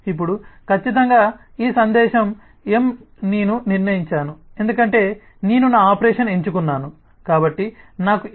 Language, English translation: Telugu, now, certainly this message m is what i have decided on because i have chosen my operation, so i know the message m